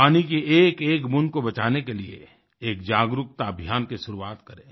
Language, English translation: Hindi, Let us start an awareness campaign to save even a single drop of water